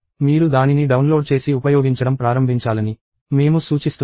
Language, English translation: Telugu, I suggest that, you download and start using that